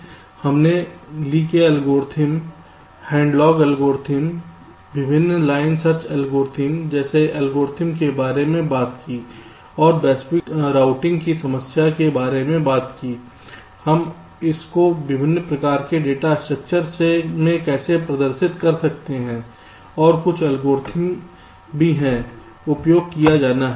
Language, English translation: Hindi, so we talked about the algorithms like lease algorithms, headlocks algorithms, the various line search algorithms, and also talked about the global routing problem, so how we can represent it, the different kind of data structures and also some of the algorithms that are used